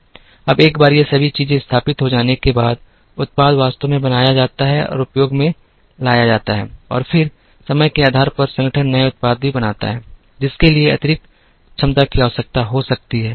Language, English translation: Hindi, Now, once all these things are established, the product is actually made and put to use and then, based on the time, the organization also creates new products, for which additional capacity may be required